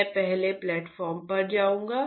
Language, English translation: Hindi, I will go to the next platform